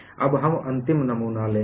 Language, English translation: Hindi, Now, we will take up the last specimen